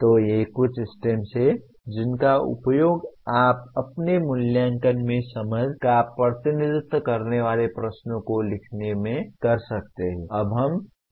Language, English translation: Hindi, So these are some of the STEMS that you can use in writing questions representing understanding in your assessment